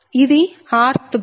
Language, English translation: Telugu, this is the r th bus right